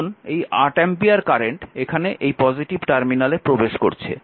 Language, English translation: Bengali, So, this 8 ampere current actually this current actually come leaving the plus terminal right